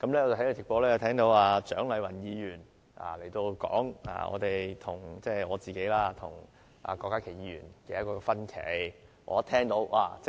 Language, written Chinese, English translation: Cantonese, 我在直播中聽到蔣麗芸議員說我個人和郭家麒議員有分歧。, During the live broadcast of this meeting I heard Dr CHIANG lai - wan say that Dr KWOK Ka - ki and I held opposite opinions